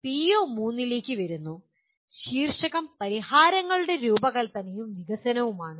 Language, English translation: Malayalam, Coming to PO3, the title is design and development of solutions